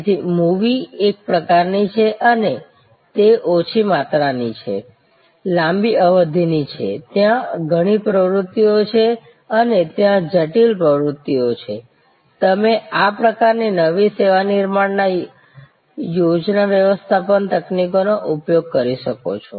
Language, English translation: Gujarati, So, a movie is one of a kind and it is a low volume, long duration, there are many activities and there are critical and sub critical activities, you can use project management techniques in this kind of new service creation